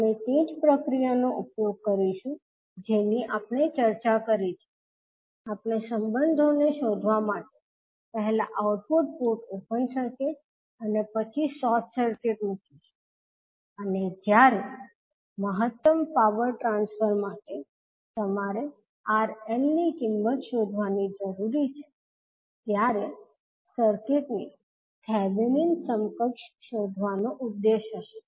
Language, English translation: Gujarati, We will utilise the same process which we discussed, we will first put output port open circuit and then short circuit to find out the relationships and when you are required to find out the value of RL for maximum power transfer, the objective will be to find out the Thevenin equivalent of the circuit which is left to the RL